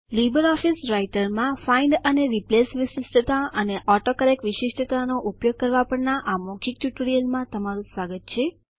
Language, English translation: Gujarati, Welcome to the Spoken tutorial on LibreOffice Writer – Using Find and Replace feature and the AutoCorrect feature in Writer